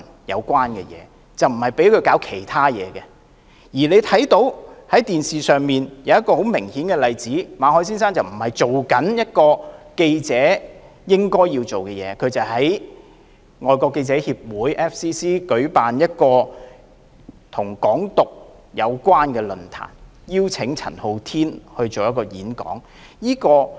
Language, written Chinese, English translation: Cantonese, 然而，大家可以從電視看到，馬凱先生並非在做記者應做的事，而是在外國記者會舉辦一個與"港獨"有關的論壇，邀請陳浩天演講。, However as we can see from the television instead of doing what a journalist should do Mr MALLET organized a forum on Hong Kong independence in FCC and invited Andy CHAN to give a speech